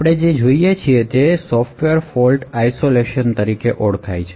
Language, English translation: Gujarati, So, what we will be looking at is something known as Software Fault Isolation